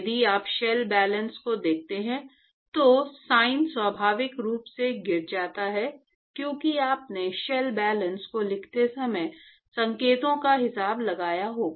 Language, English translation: Hindi, In fact, if you look at the shell balances, the sign actually falls out naturally because you would have accounted the signs when you wrote the shell balance right